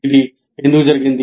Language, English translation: Telugu, What is the purpose